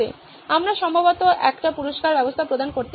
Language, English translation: Bengali, We can probably provide a reward system